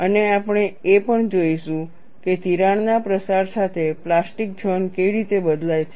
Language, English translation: Gujarati, And we will also see, how the plastic zone, say changes as the crack propagates, both we will have to look at it